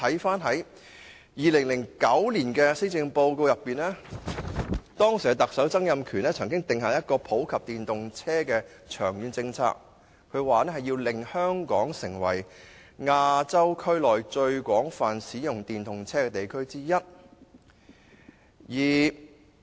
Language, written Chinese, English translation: Cantonese, 早在2009年施政報告，時任特首曾蔭權已定下普及電動車的長遠政策目標，表示要令香港成為亞洲區內最廣泛使用電動車的地區之一。, In the 2009 Policy Address a long term policy objective was announced by the then Chief Executive Donald TSANG to popularize electric vehicles aiming to make Hong Kong one of the places in Asia where electric vehicles are most widely used